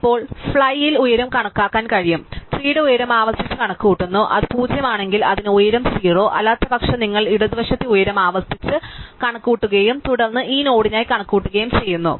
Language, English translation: Malayalam, Now, it is possible to compute the height on the fly, the height of the tree is recursively computed, if it is nil it has height 0; otherwise, you recursively compute the height of the left in the right and then accounting for this node you add one to that